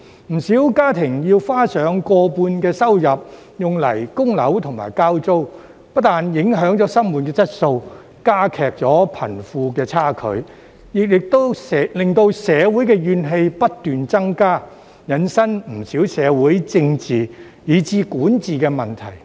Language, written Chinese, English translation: Cantonese, 不少家庭要花上過半收入用作供樓或交租，不但影響生活質素，加劇貧富差距，亦令社會怨氣不斷增加，引申不少社會、政治以至管治的問題。, Many families have to spend more than half of their income on mortgage payments or rent which not only affects the quality of life and widens the wealth gap but also leads to escalating social discontent and many social political and governance problems